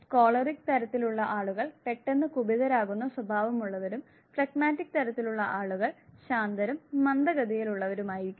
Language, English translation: Malayalam, People who are choleric type would be hot tempered and people who are phlegmatic type would be calm and slow